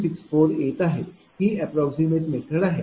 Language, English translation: Marathi, 264, this is the approximate method